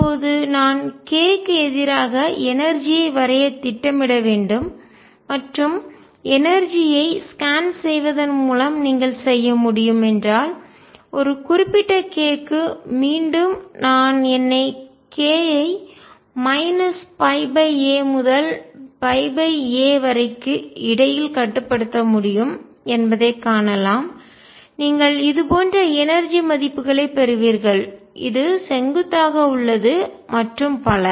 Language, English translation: Tamil, And now if I have to plot energy versus k and that you can do by scanning over energy you will find that for a given k and again I can restrict myself to k between minus pi by a to pi by a you will get energy values like this, is perpendicular and so on